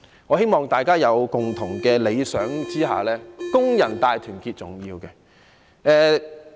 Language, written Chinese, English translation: Cantonese, 我希望大家有共同的理想下，工人大團結是重要。, And I hope that workers will sharing a common goal work together towards achieving a great unity because this is so important